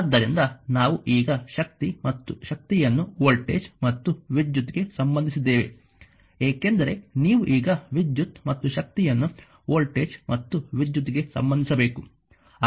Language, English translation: Kannada, we know we now we now relate the power and energy to voltage and current, because we have to relate now power and energy to the voltage as well as the current